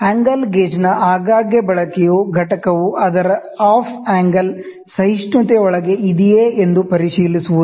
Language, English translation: Kannada, A frequent use of angle gauge is to check, whether the component is within its off angle tolerance